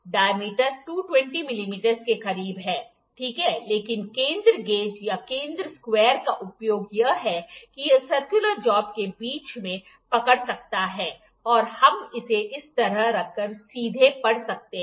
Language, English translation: Hindi, The diameter is closed to 220 mm, ok, but the use of center gauge or center square is that it can hold the circular job in between, and we can directly read while placing it like this